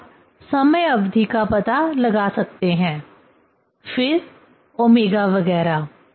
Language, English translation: Hindi, Now you can find out the time period, then omega 0 etcetera